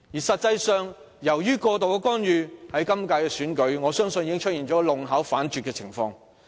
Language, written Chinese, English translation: Cantonese, 實際上，由於過度干預，今屆選舉已出現弄巧反拙的情況。, In fact due to excessive interference this election turns out to be a blunder instead of something desirable